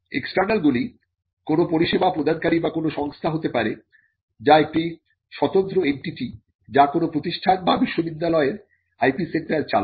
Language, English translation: Bengali, The external one could be a service provider or a company which is an independent entity which would run the IP centre for an institute or a university